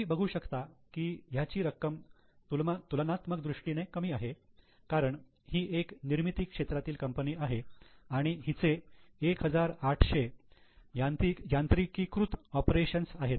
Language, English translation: Marathi, This is you can see amount is relatively less because it is a large scale manufacturer 1,800 highly mechanized operations